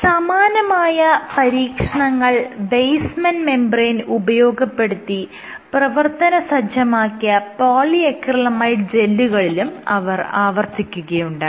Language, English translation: Malayalam, She repeated the same set of experiments in PA gels polyacrylamide gels which were coated, these were functionalized with basement membrane